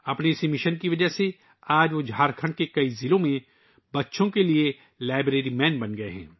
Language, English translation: Urdu, Because of this mission, today he has become the 'Library Man' for children in many districts of Jharkhand